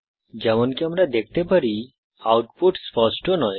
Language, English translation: Bengali, As we can see, the output is as expected